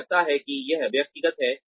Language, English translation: Hindi, They feel that, it is individual